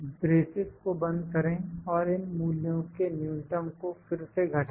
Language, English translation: Hindi, Close the braces minus minimum of these values again